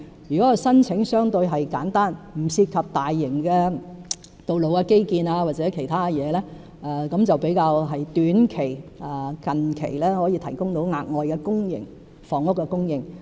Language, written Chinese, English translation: Cantonese, 如果有關申請相對簡單，不涉及大型的道路基建或其他事情，較短期就能夠提高公營房屋的供應。, If an application is relatively simple and does not involve major road infrastructure or other matters the supply of public housing can be increased in the short run